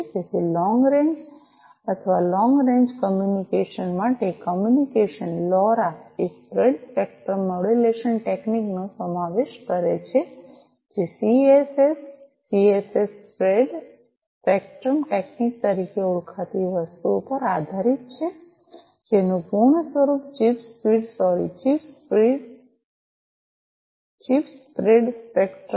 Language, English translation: Gujarati, So, long range or communication for long range communication, LoRa incorporates a spread spectrum modulation technique, based on something known as the CSS, CSS spread spectrum technique the full form of which is chirp speed sorry Chip Spread Spectrum